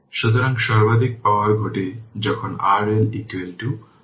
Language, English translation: Bengali, So, maximum power occurs when R L is equal to R Thevenin right